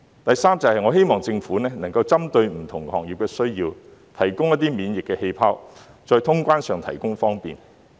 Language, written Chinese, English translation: Cantonese, 第三，我希望政府能夠針對不同行業的需要，提供"免疫氣泡"，在通關上提供方便。, Thirdly I hope that the Government can provide immunity bubbles and convenience in the resumption of cross - border travel to cater for the needs of different sectors